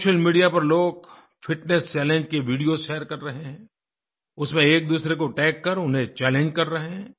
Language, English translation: Hindi, People are sharing videos of Fitness Challenge on social media; they are tagging each other to spread the challenge